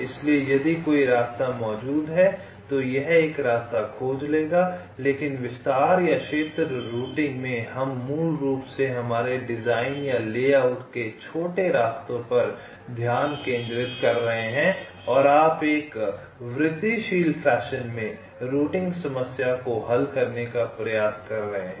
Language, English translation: Hindi, but in these method detail or area routing we are we are basically concentrating on small paths of our design or the layout and you are trying to solve the routing problem in an incremental fashion